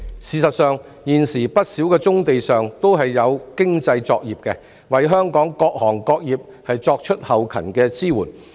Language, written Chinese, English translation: Cantonese, 事實上，現時不少棕地上均有經濟作業，為香港各行各業作後勤支援。, Actually many brownfield sites have economic operations providing logistic support to the various sectors in Hong Kong